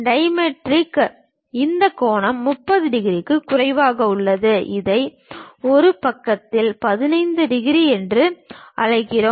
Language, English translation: Tamil, In dimetric, this angle is lower than 30 degrees, which we call 15 degrees on one side